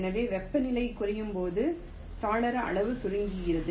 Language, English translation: Tamil, ok, so window size shrinks as the temperature decreases